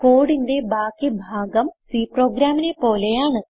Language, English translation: Malayalam, You can see that the rest of the code is similar to our C program